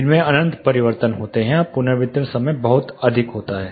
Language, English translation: Hindi, It has infinite reflections or the reverberation time is very large